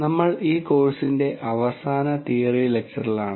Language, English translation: Malayalam, So, we are into the last theory lecture of this course